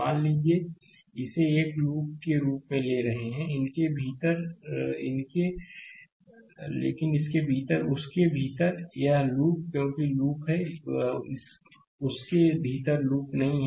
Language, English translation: Hindi, Suppose, we are taking it as a loop, but within that within that; this is this is a mesh because there is loop, there is no loop within that right